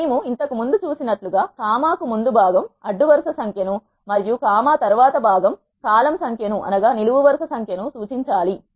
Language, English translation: Telugu, As we have seen earlier the part before the comma should refer to the row number and the part after the comma should refer to the column number